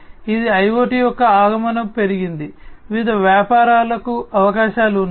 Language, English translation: Telugu, It has advent of IoT has increased, the opportunities for different businesses